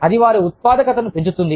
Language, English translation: Telugu, That will enhance, their productivity